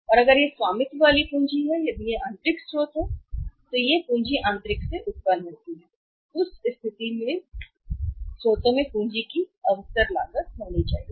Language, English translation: Hindi, And if it is owned capital if it is from the internal source a with his capital is generated from the internal sources in that case there has to be the opportunity cost of capital